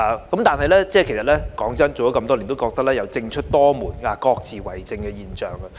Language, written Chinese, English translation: Cantonese, 老實說，做了地區工作這麼多年，我覺得有"政出多門，各自為政"的現象。, Honestly having served the community for so many years I think there are the issues of fragmentation of responsibilities and lack of coordination among government departments